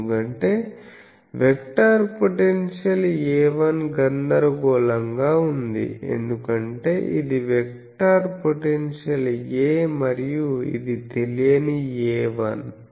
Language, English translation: Telugu, Because, we are seeing the vector potentially actually this A 1 is a confusing thing, because this is a vector potentially A and this is the unknown A 1